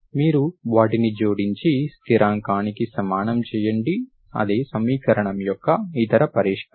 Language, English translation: Telugu, You add them, put equal to constant, that is other solution of that equation